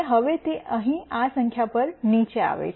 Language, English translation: Gujarati, Now, it is come down to this number right here